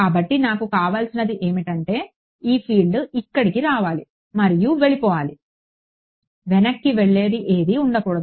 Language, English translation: Telugu, So, what I want is that this field should come over here and just go off; there should be nothing that is going back right